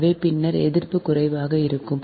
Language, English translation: Tamil, so later the resistance will be lower right